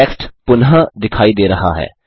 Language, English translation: Hindi, The text is visible again